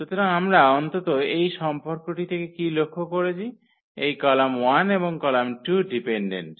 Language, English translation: Bengali, So, what we observed at least from this relation that this column 1 and column 2 are dependent